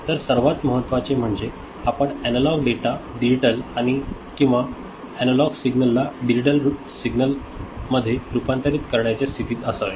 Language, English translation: Marathi, So, what is important is that, we should be in a position to convert analog data to digital ok, analog signal to digital signal